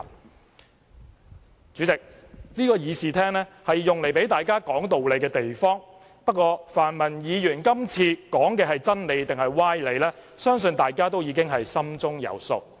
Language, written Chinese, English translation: Cantonese, 代理主席，這個議事廳是讓大家說道理的地方，不過，泛民議員今次說的是真理還是歪理，相信大家已經心中有數。, Deputy Chairman this Chamber is a place for everyone to reason things out but I believe we all know clearly whether the pan - democrats reasoning is reasonable or devious